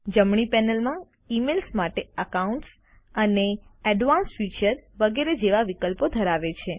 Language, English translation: Gujarati, The right panel consists of options for Email, Accounts, Advanced Features and so on